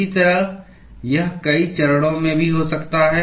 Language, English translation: Hindi, Similarly, it can also occur in multiple phases